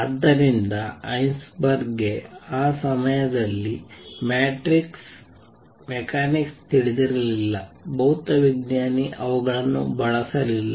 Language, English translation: Kannada, So, Heisenberg did not know matrix mechanics at that time physicist did not use them he discovered this through this